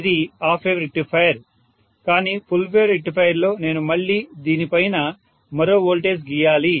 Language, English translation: Telugu, This is half wave rectified, but it is full wave rectified I have to again draw on the top of this also one more voltage right